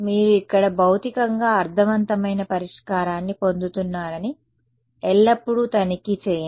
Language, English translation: Telugu, Always check that you are getting a physically meaningful solution over here